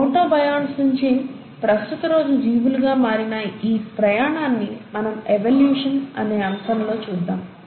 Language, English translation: Telugu, So this journey, all the way from protobionts to the present day organisms, we’ll cover them in the, in the topic of evolution